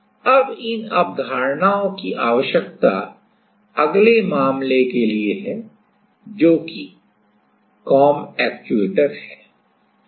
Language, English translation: Hindi, Now these concept we need for our next case which is a comb actuator